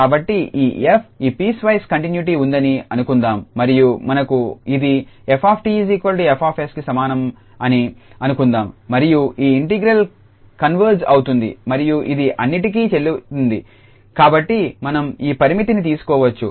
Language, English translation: Telugu, So, suppose this f is piecewise continuous indeed on this interval and we have this f t is equal to F s exist and moreover this integral converges then we can actually because this is valid for all s positive we can take this limit there